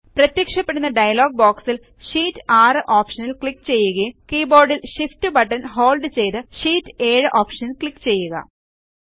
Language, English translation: Malayalam, In the dialog box which appears, click on the Sheet 6 option and then holding the Shift button on the keyboard, click on the Sheet 7 option